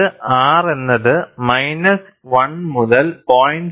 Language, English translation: Malayalam, R lies between minus 1 and 0